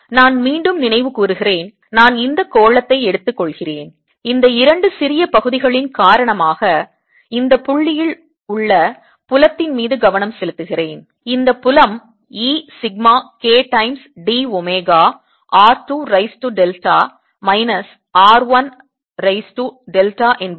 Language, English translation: Tamil, let me recap: i'm taking this sphere and i'm focusing on field at this point, because this two small areas, and i found that this field e is sigma k times d, omega, r two to raise to delta, minus r one raise to delta